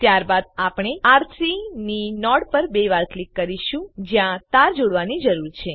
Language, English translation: Gujarati, Then we will double click on the node of R3 where wire needs to be connected